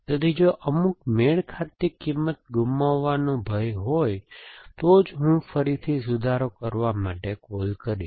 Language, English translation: Gujarati, So, only if there is a danger of having lost some matching value I will make a call to revise again